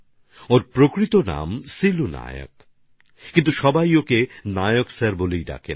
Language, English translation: Bengali, Although his name is Silu Nayak, everyone addresses him as Nayak Sir